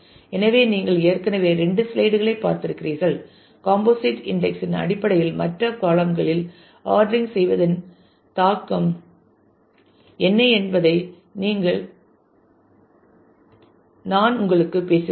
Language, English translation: Tamil, So, you have already seen couple of slides back I talk to you to the impact of what is the impact of ordering in other columns in terms of composite index